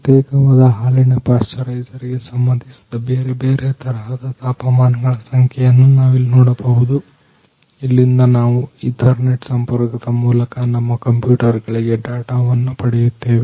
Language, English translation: Kannada, Here we can see the numbers of different type of temperatures of particular milk pasteurisers we can see and from here we can take the data to our to our computers by ethernet connections